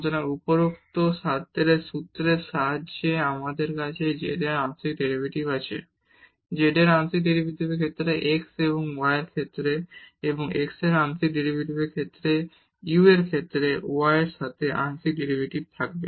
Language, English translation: Bengali, So, with the formula derived above we have a partial derivative of z with respect to u in terms of the partial derivatives of z with respect to x and y and the partial derivative of x with respect to u partial derivative of y with respect to u again